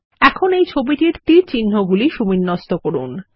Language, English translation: Bengali, Now lets arrange the arrows in the diagram